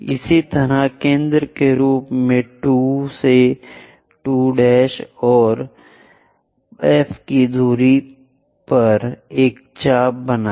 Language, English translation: Hindi, Similarly, as distance 2 to 2 prime and F as that make an arc